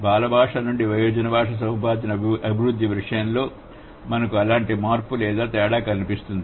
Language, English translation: Telugu, So, the development from the child language to the adult language acquisition, we have such kind of a change or a difference